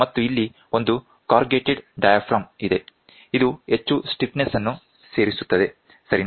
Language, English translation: Kannada, And here is a corrugated diaphragm so, that it adds more stiffness, right